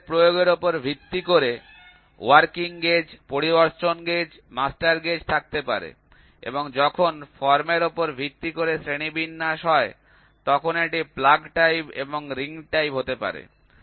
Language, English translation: Bengali, So, you can have working gauge, inspection gauge, master gauge based on the application and when the classification is based on the form, it can be plug type and ring type